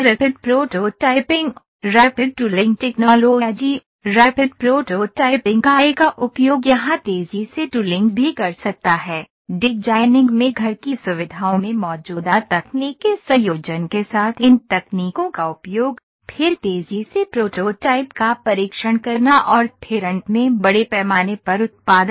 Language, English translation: Hindi, The use of a rapid prototyping, rapid tooling technologies, rapid prototyping I can also put rapid tooling here, use of these technologies in combination with existing in house facilities in designing then testing simulating then rapid prototyping then finally, mass production